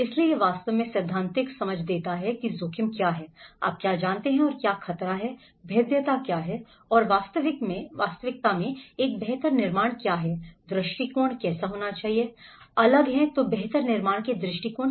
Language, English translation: Hindi, So, it actually gives the theoretical understanding of what is a risk, what is a hazard you know and what is vulnerability and what is actually a build back better, what is the perspectives, different perspectives of build back better